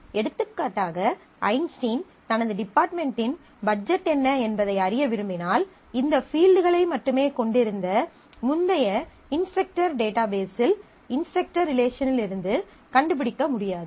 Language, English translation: Tamil, For example, if I want to know if Einstein wants to know what is the budget of his department that cannot be found out from the earlier instructor database, instructor relation which had only these fields